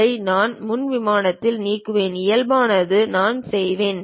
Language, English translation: Tamil, I will delete this on the frontal plane Normal To I will go